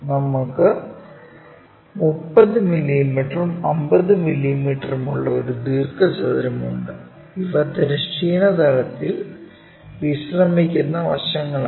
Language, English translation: Malayalam, We have a rectangle 30 mm and 50 mm these are the sides, resting on horizontal plane